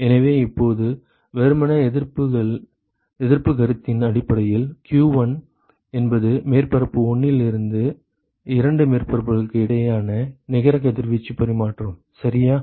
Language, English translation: Tamil, So, now simply based on the resistance concept so, if q1 is the net radiation exchange between the two surfaces from the surface 1 ok, then q2 will be what will be q2